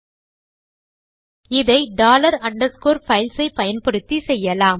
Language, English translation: Tamil, The way to do this is by using dollar underscore FILES